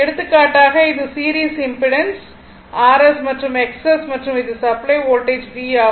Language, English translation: Tamil, For example this is my series impedance R S and X S and this is my supply voltage V